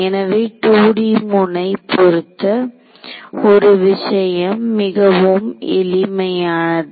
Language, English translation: Tamil, So, the 2D node based thing is very very simple right